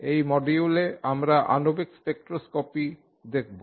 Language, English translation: Bengali, In this module we have been looking at molecular spectroscopy